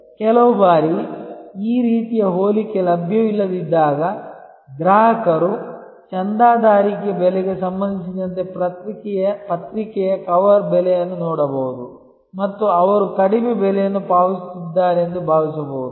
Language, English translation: Kannada, Some times when this sort of comparison is not available, the customer may look at the cover price of a magazine with respect to the subscription price and feel that, he is paying a lower price